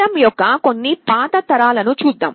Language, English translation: Telugu, Let us look at some of the older generations of ARM